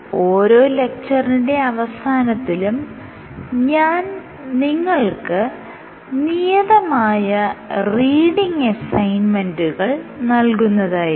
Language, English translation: Malayalam, So, as we go forward at the end of every lecture I will give you reading assignments